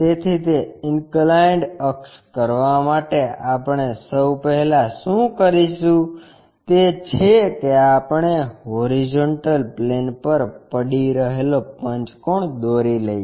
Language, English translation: Gujarati, So, to do that inclined axis first of all what we will do is we will construct a pentagon resting on this horizontal plane